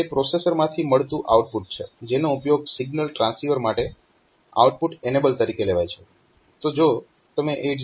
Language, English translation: Gujarati, So, output signal from the processor used to as output enable for the transceiver